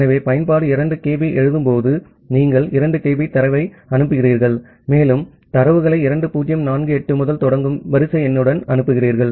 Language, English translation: Tamil, So, when the application does a 2 kB of write, you are sending 2 kB of data, further data along with the sequence number starting from 2048